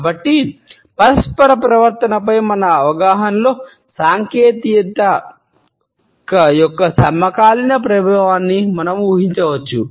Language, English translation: Telugu, So, we can imagine the contemporary impact of technology in our understanding of interpersonal behaviour